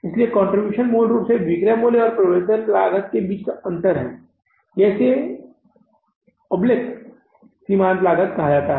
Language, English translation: Hindi, So, contribution is basically the difference between the selling price minus variable cost or you call it as oblique marginal cost